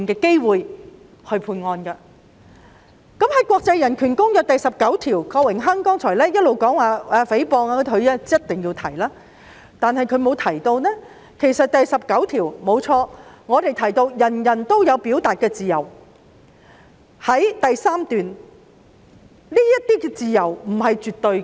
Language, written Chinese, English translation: Cantonese, 郭榮鏗議員剛才一直提及《公約》第十九條有關誹謗的規定，但他並沒有提到第十九條訂明人人皆享有表達自由之餘，亦表明這些自由不是絕對的。, Mr Dennis KWOK just now repeatedly referred to Article 19 of ICCPR on libel but he has not mentioned that Article 19 provides that everyone enjoys the right to freedom of expression and that such freedom is not absolute